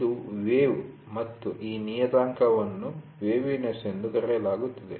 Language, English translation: Kannada, This is a wave and this parameter is called as waviness